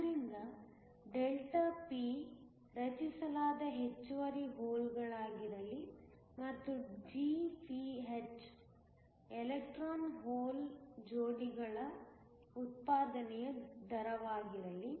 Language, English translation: Kannada, So, let Δp be the excess holes that are created and let Gph be the rate of generation of electron hole pairs